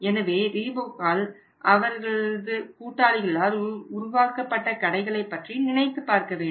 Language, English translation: Tamil, you can think about those stores which were created by Reebok of the partners of the Reebok